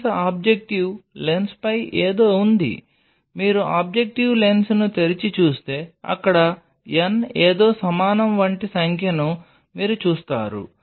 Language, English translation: Telugu, There is something on the lens objective lens if you open the objective lens you will see there is a number which will be given like n is equal to something